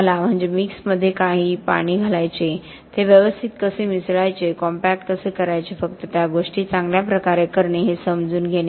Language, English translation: Marathi, I mean understanding about how much water to put in the mix, how to mix it properly, how to compact, how to cure, just doing those things well